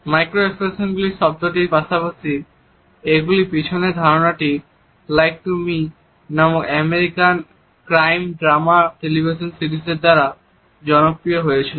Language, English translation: Bengali, The term micro expression as well as the idea behind them was popularized by an American crime drama television series with the title of "Lie to Me"